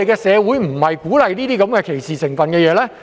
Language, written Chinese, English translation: Cantonese, 社會不應鼓勵這種帶有歧視成分的行為。, Society should not encourage such discriminatory acts